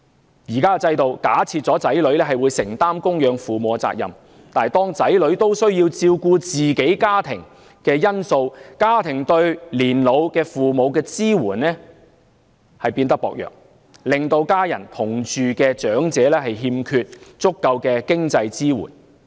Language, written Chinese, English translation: Cantonese, 現時的制度假設了子女會承擔供養父母的責任，但由於子女亦需要照顧自己的家庭，以致家庭對年老父母的支援變得薄弱，令與家人同住的長者欠缺足夠的經濟支援。, The system currently assumes that sons and daughters will shoulder the responsibility of contributing to the living expenses of their parents . Yet sons and daughters also have to take care of their own families such that their families can only offer minimal support to their old age parents rendering elderly people living with their families in lack of sufficient financial support